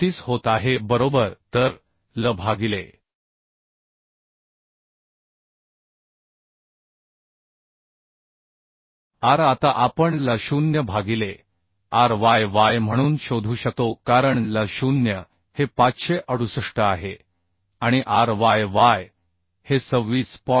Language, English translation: Marathi, 34 right So L by r now we can find out as L0 by ryy we can find out as L0 is 568 and ryy is 26